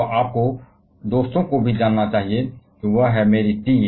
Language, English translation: Hindi, So, you should also know the friends; that is, my TA's